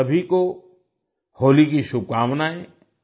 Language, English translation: Hindi, Happy Holi to all of you